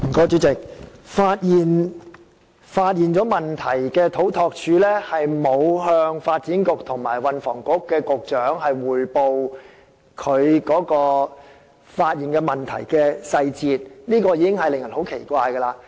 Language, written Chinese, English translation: Cantonese, 主席，發現問題的土木工程拓展署沒有向發展局局長及運輸及房屋局局長匯報問題的細節，令人覺得很奇怪。, President it is surprising that CEDD which uncovered the problem had not reported the details to the Secretary for Development or the Secretary for Transport and Housing